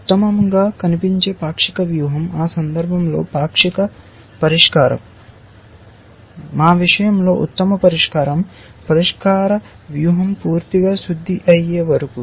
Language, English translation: Telugu, Best looking partial strategy, a partial solution in that case, in our case the solution is the strategy till best solution is fully refined